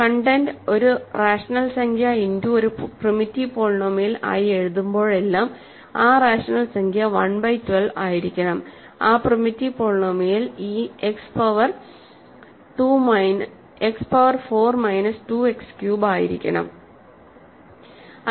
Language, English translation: Malayalam, Every time you write it as a content as a rational number times a primitive polynomial, that rational number has to be 1 by 12 in that primitive polynomial has to be this X power 4 minus 2 X cubed and so on